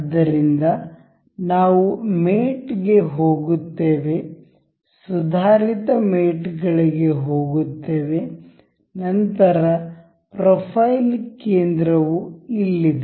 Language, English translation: Kannada, So, we will go to mate, we will go to advanced mates; then, this is profile center over here